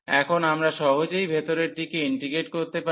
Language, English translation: Bengali, So now, we can easily integrate the inner one